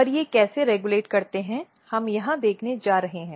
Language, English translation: Hindi, And how these regulates we are going to look here